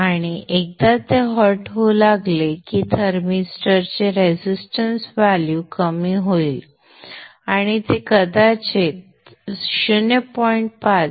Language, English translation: Marathi, And once that starts becoming hot, the resistance value of the thermistor will decrease and it may probably become the order of something 0